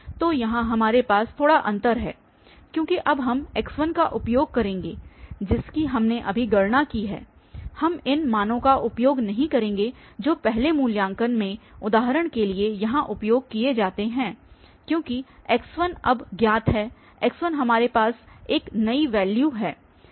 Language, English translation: Hindi, So, here we have slight difference because now we will be using x1 which we have just computed here, we will not use these values which are used here for instances in the first evaluation, because x1 is now known, the x1 we have a new value